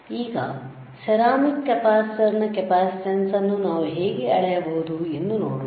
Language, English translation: Kannada, So, let us see how we can measure the capacitance of this ceramic capacitor